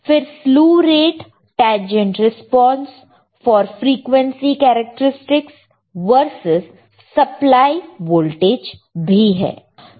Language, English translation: Hindi, We also see there is a slew rate tangent response for frequency characteristics for the versus supply voltage